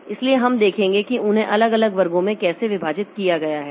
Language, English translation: Hindi, So, we'll see how are they divided into different classes